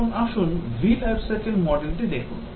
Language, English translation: Bengali, Now, let us look at the V Life Cycle Model